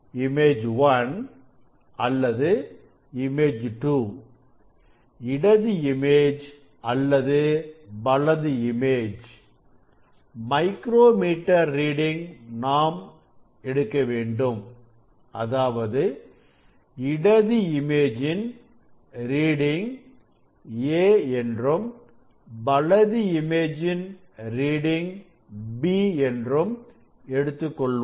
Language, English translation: Tamil, for image 1 or image 2 or left image or right image reading of the micrometer screw; that is a reading of this left image a and reading of the right image b